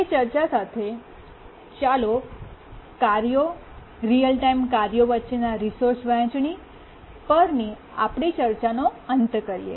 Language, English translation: Gujarati, Now with that discussion, let's conclude our discussions on resource sharing among tasks, real time tasks